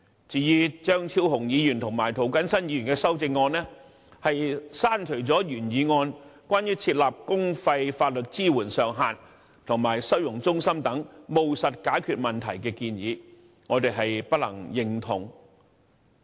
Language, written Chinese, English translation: Cantonese, 至於張超雄議員及涂謹申議員的修正案，刪除了原議案有關設立公費法律支援上限及收容中心等務實解決問題的建議，我們不能認同。, As regards the amendments proposed by Dr Fernando CHEUNG and Mr James TO we cannot agree to the deletion of certain pragmatic solutions proposed under the original motion such as imposing a cap on the publicly - funded legal assistance and setting up holding centres